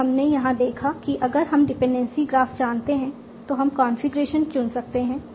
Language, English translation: Hindi, So we have seen here if we know the dependency graph we we can choose the configurations